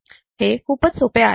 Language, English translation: Marathi, It is very easy